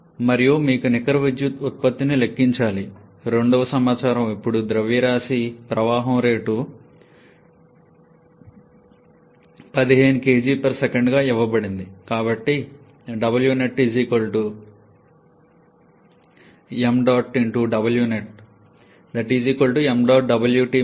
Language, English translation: Telugu, And the second information you have to calculate the net power output now the mass flow rate is given as 15 kg per second